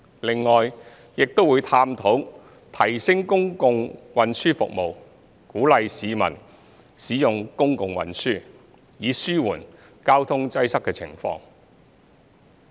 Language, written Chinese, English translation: Cantonese, 另外，亦會探討提升公共運輸服務，鼓勵市民使用公共運輸，以紓緩交通擠塞的情況。, Besides it will also explore the enhancement of public transport services and encourage the public to use public transport thereby relieving the traffic congestion situation in urban areas